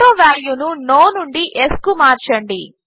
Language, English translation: Telugu, Change AutoValue from No to Yes